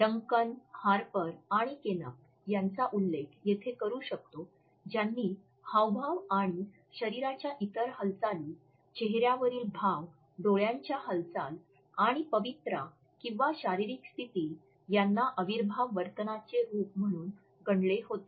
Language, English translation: Marathi, We can refer to Duncan as well as Harper and others and Knapp, who had enumerated gestures and other body movements, facial expressions, eye movements and postures as modalities of kinesic behavior